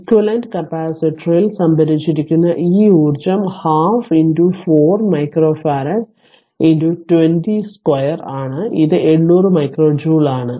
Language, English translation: Malayalam, This energy stored in the equivalent capacitor is half equivalent was 4 micro farad half v this square it is 800 micro joule right